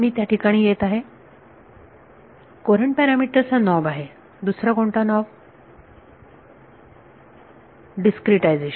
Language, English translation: Marathi, I will come to it, courant parameter is 1 knob any other knob discretization